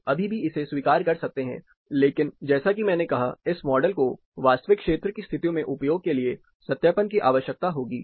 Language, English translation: Hindi, People can still accept it, but as I said, this model will really need validation for application, in actual field conditions